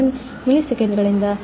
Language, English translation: Kannada, 1 milliseconds, and from 0